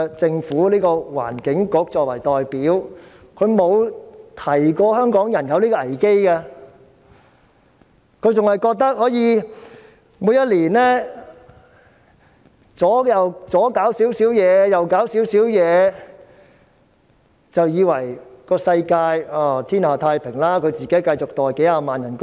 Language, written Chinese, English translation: Cantonese, 政府的環境局作為代表，沒有提醒過香港人有此危機，還以為每年在這方面做些事，那方面做些事，便可以天下太平，自己繼續每月收取數十萬元的薪酬。, As a representative of the Government the Environment Bureau has failed to alert Hong Kong people about this crisis . In their view the world will be fine if they do things here and there and they can continue to receive a monthly salary of hundreds of thousands of dollars year after year